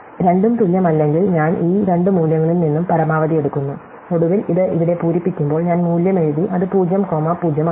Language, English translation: Malayalam, If the two are not equal, I take the maximum of these two values and finally, when this values are filled out, I have written the value, it is 0 comma 0